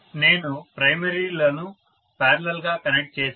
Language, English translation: Telugu, I have connected the primaries in parallel